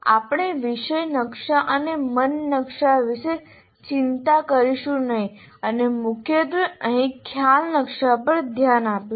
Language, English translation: Gujarati, So we will not worry about the topic maps and mind maps and mainly look at concept map here